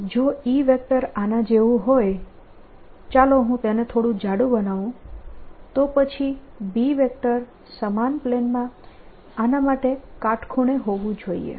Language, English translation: Gujarati, so if e vector is like this let me make a little thick then b vector has to be perpendicular to this in the same plane